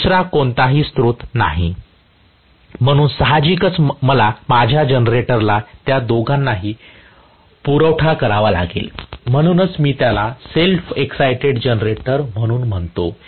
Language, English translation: Marathi, There is no other source, so obviously my generator has to supply both of them that is why I call it as a self excited generator